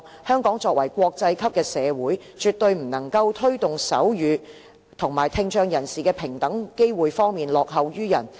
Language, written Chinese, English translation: Cantonese, 香港作為國際級的社會，絕對不能夠在推動手語和聽障人士的平等機會方面落後於人。, As an international community Hong Kong cannot fall behind other communities in promoting sign language and equal opportunities of people with hearing impairment